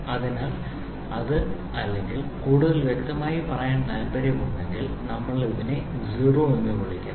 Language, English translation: Malayalam, So, this is or I can say if you want to be more specific we call it a 0